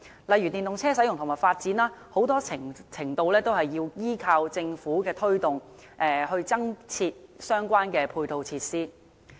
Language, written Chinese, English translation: Cantonese, 例如電動車的使用和發展，很大程度要依靠政府的推動，以及增設相關的配套設施。, The use and development of EVs for example must depend heavily on government promotion and its provision of various support facilities